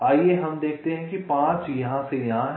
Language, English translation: Hindi, lets see, five is from here to here and four is from here to here